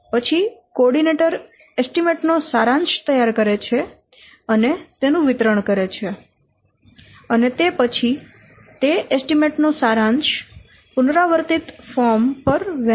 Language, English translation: Gujarati, The coordinator prepares a summary and then he distributes the summary of the estimation on an iteration form